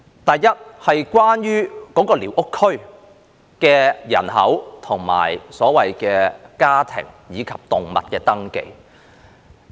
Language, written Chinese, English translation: Cantonese, 第一，是寮屋區的人口、家庭及動物登記。, The first issue pertains to population household and animal registration in squatter areas